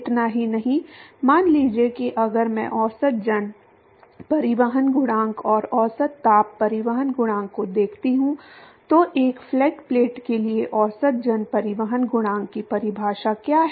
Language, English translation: Hindi, Not just that supposing if I look at the average mass transport coefficient and average heat transport coefficient, what is a definition of average mass transport coefficient for a flat plate